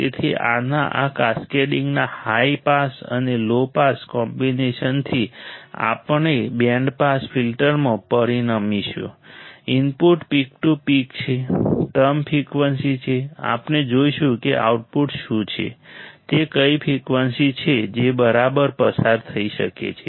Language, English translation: Gujarati, So, high pass and low pass combination of this cascading of this we will result in a band pass filter; input peak to peak it is a term frequency; We will see what the output, which frequency it is can pass alright